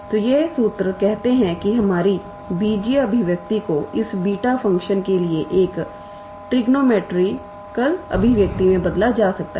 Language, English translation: Hindi, So, these formula say our algebraic expression can be reduced into a trigonometrical expression for this beta function